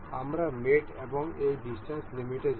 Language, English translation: Bengali, We will go to mate and this distance limit